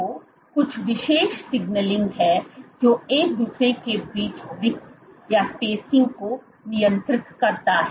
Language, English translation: Hindi, So, there is some special signaling which regulates the spacing between each other